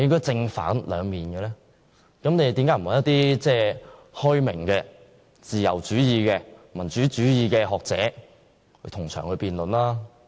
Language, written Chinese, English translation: Cantonese, 政府為何不邀請開明、自由主義、民主主義的學者同場辯論？, Why does the Government not invite some enlightened scholars championing liberalism and democracy to attend the same debate?